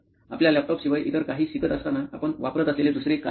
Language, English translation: Marathi, Anything else that you are using while learning other than your laptop